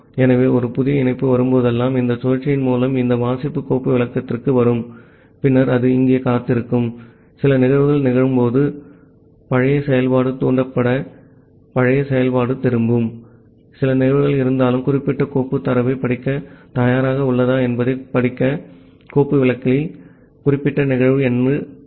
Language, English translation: Tamil, So whenever a new connection will come, it will come to this read file descriptor through this loop and then it will keep on waiting here, when some event will occur that old function will get triggered and that old function will return, whether certain event is there in the read file descriptors certain event means, whether that particular socket is ready to read the data